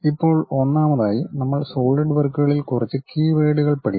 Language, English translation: Malayalam, Now, first of all we have to learn few key words in solidworks